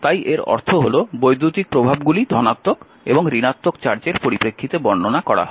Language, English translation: Bengali, So, charge is bipolar so, it means electrical effects are describe in terms of positive and your negative charges the first thing